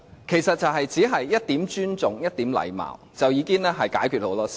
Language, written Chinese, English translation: Cantonese, 其實，只需要一點尊重、一點禮貌，已經可以解決很多問題。, In fact a lot of problems can be resolved with a bit of respect and courtesy